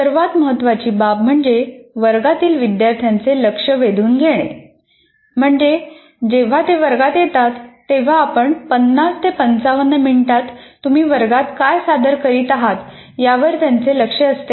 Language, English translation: Marathi, There is when they come to the class, are they, do they pay attention to what you are doing in the class during the 50, 55 minutes